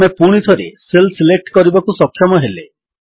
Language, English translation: Odia, We are able to select the cells again